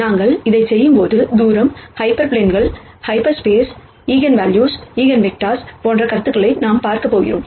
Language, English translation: Tamil, While we do this, we are going to cover the ideas of distance, hyperplanes, half spaces, Eigenvalues Eigenvectors